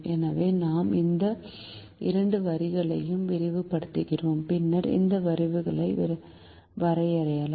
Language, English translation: Tamil, so we just extend these two lines and then we can draw these lines as well